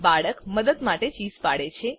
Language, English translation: Gujarati, The boy screams for help